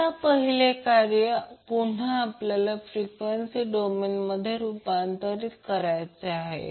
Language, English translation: Marathi, Now first task is that again we have to transform this into frequency domain